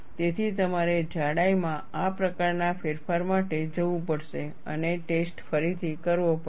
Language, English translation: Gujarati, So, you will have to go for this kind of change in thickness and redo the test